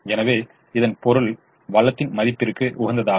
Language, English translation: Tamil, so it it means the worth of the resource at the optimum